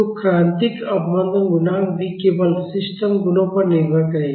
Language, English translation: Hindi, So, the critical damping coefficient will also depend only upon the system properties